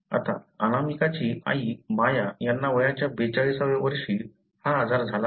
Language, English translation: Marathi, Now, Anamika’s mother Maya, at age of 42 she has developed the disease